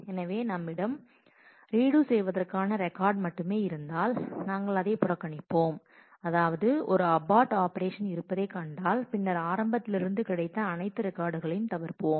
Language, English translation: Tamil, So, if we have a redo only record, then we will ignore it and if we find an operation abort, then we will skip all the records that were found till the beginning